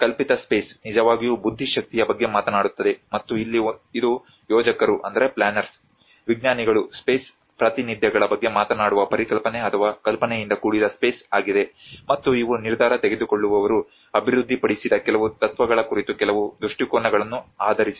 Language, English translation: Kannada, Conceived space which actually talks about the intellect and here it is also a space that has been conceptualized or conceived by planners, scientist which talks about the representations of the space, and these are based on certain visions on certain principles developed by decision makers